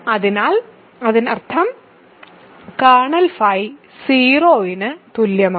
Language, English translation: Malayalam, So that means, kernel phi is equal to 0